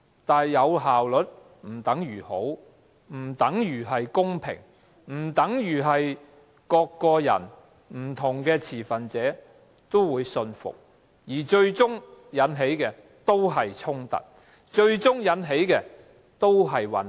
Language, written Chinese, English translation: Cantonese, 但是，有效率不等於好，不等於公平，不等於每個人和不同持份者也信服，最終只會引起衝突和混亂。, However these systems though efficient are not the same as those that are superior fair and command the trust and respect of everyone and different stakeholders and will ultimately lead only to conflicts and chaos